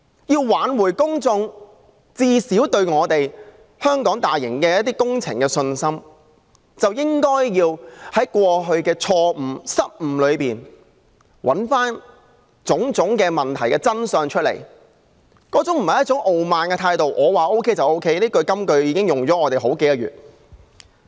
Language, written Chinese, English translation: Cantonese, 要挽回公眾對香港大型工程的信心，便應該從過去的錯誤，找出種種問題的真相，而不是採取一種傲慢的態度，表示"我說 OK 就 OK"； 這金句已浪費了我們數個月的時間。, To restore public confidence in large - scale projects in Hong Kong it should find out the truth about all the problems from the past mistakes rather than adopting an arrogant attitude saying If I say it is OK then it is . This famous remark has already wasted several months of our time